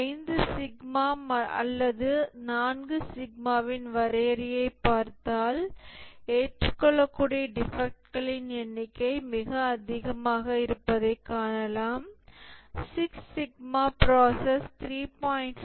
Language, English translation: Tamil, If we look at definition of a 5 sigma or 4 sigma can see that the number of defects acceptable are much higher